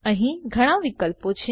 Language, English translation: Gujarati, There are various options here